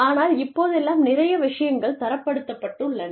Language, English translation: Tamil, But, nowadays, a lot of things, have been standardized